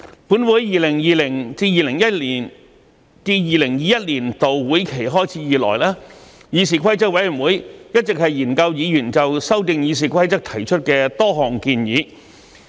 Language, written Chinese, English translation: Cantonese, 本會在 2020-2021 年度會期開始以來，議事規則委員會一直研究議員就修訂《議事規則》提出的多項建議。, Since the commencement of the 2020 - 2021 session of this Council CRoP has been studying a number of proposals put forth by Members to amend RoP